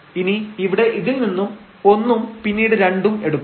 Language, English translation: Malayalam, So, here in x we have 1 and then we have 2 there